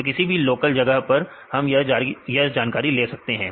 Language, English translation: Hindi, So, any local place we can get the information